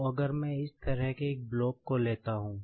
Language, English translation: Hindi, So, if I consider a block like this